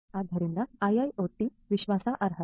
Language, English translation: Kannada, So, IIoT trustworthiness